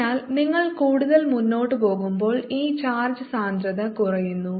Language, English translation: Malayalam, so as you go farther and farther out, this charge density is decreasing